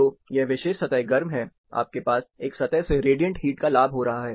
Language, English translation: Hindi, So, this particular surface is hot, you have radiant heat gain from one surface